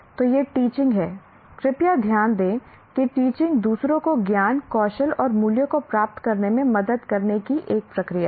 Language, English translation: Hindi, Kindly note that teaching is a process of helping others to acquire knowledge, skills, and values